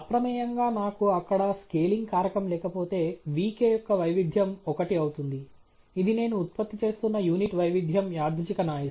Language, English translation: Telugu, By default, if I don’t have the scaling factor there, the variance of vk would be one; it’s a unit variance random noise that I have been generating